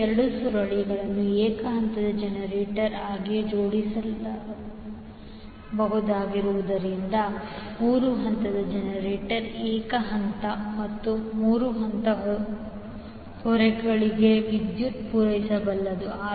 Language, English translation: Kannada, Now since both coils can be arranged as a single phase generator by itself, the 3 phase generator can supply power to both single phase and 3 phase loads